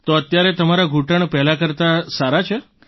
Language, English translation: Gujarati, So now your knee is better than before